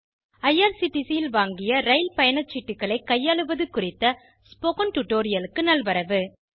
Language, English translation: Tamil, Welcome to this spoken tutorial on Managing train tickets bought at IRCTC